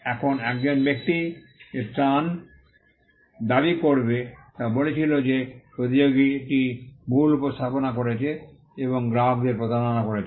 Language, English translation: Bengali, Now, the relief that a person would claim was saying that, the competitor was misrepresenting and was deceiving the customers